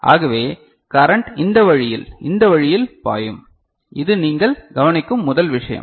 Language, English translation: Tamil, So, the current will be flowing in this way in this manner ok, this is the first thing you observe